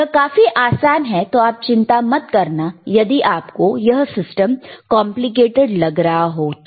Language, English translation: Hindi, iIt is very easy, do not do not worry if system looks very complicated